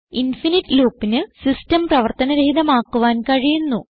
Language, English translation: Malayalam, Infinite loop can cause the system to become unresponsive